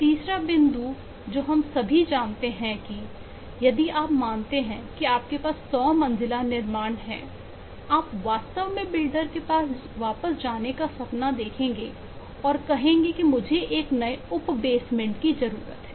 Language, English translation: Hindi, the third point which all of us know is: eh, if you consider you have a 100 storied building, you would really even dream of going back to the builder and say that I need a new sub basement